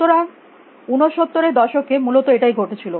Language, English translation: Bengali, So, about that is what happen in 69 essentially